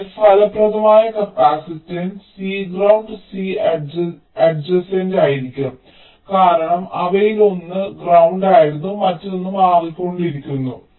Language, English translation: Malayalam, so the effective capacitance will be c ground plus c adjacent, because one of them was at ground and the other one is changing